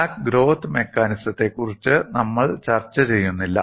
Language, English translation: Malayalam, We are not discussing crack growth mechanism